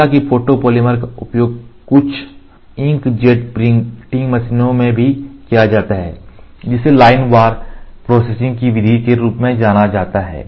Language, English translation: Hindi, Although photopolymers are also used in some ink jet printing processes, which is known as the method of line wise processing